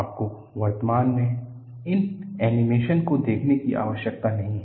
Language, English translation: Hindi, You do not have to write this animation currently